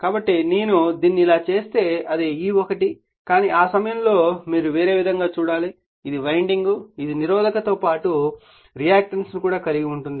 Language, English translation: Telugu, So, if I make it like this it is E1 right, but at that time you have to see you know different way that this is the winding also has your resistance as well as that your what you call reactance right